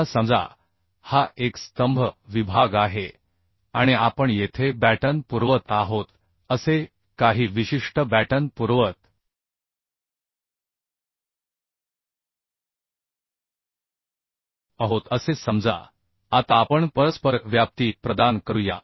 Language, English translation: Marathi, Say suppose this is a column section and we are providing certain batten say we are providing batten here so this is the overlapping distance right this is the